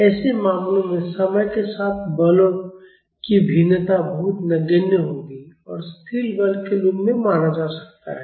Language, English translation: Hindi, In such cases the variation of forces of a time will be very insignificant and we can treated as a constant force